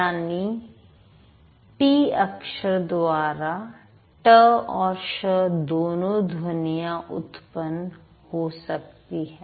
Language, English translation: Hindi, So, t is the letter can lead to the sound t and the sound sure